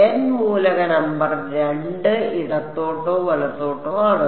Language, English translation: Malayalam, N element number is 2 left or right